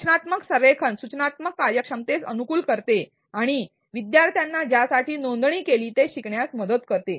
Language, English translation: Marathi, Constructive alignment optimizes instructional efficacy and helps the student learn what the enrolled for